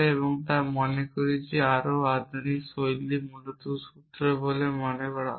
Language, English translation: Bengali, But I think the more moderns style seems to be formulas essentially